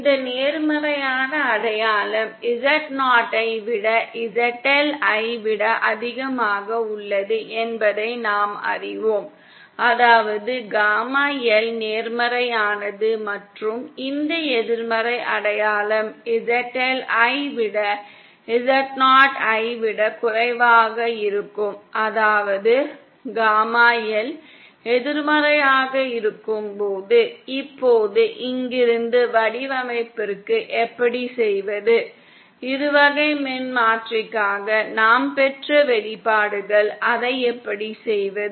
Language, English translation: Tamil, And we know that this positive sign is for ZL greater than Z0 that is when gamma L is positive and this negative sign is for ZL lesser than Z0, that is when gamma L is negative, now how do from here to the design, the nice expressions that we have derived for our binomial transformer, how do we do that